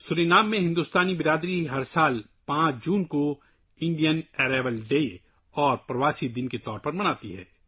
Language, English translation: Urdu, The Indian community in Suriname celebrates 5 June every year as Indian Arrival Day and Pravasi Din